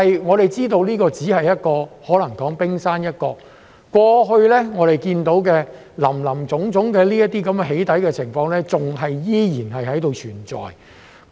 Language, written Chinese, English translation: Cantonese, 我們知道這可能只是冰山一角，過去我們所看到的林林總總"起底"情況依然存在。, We know that this may just be the tip of the iceberg and the various doxxing activities which we have witnessed before still exist